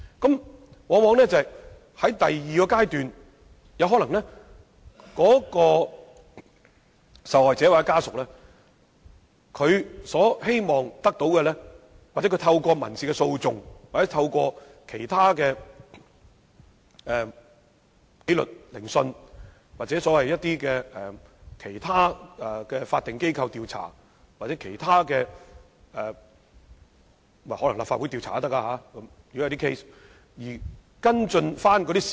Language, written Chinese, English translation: Cantonese, 到了第二階段，受害者或家屬往往希望透過民事訴訟、紀律聆訊、其他法定機構的調查，甚或可能是立法會進行的調查而跟進事實。, It is often the wish of victims or their families to follow up on the facts of their case at a later stage through civil proceedings disciplinary hearings inquiries conducted by other statutory organizations or even the Legislative Council